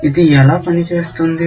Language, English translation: Telugu, How does this work